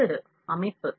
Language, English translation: Tamil, Next is structure